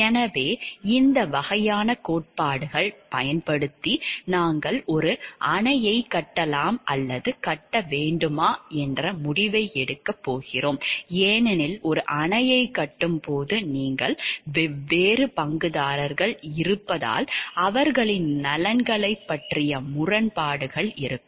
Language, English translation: Tamil, So, these type of theories are utilized, when we are going to take a decision about whether to build a dam or not to build a dam because, while building a dam you there are different stakeholders whose conflict who interests will be there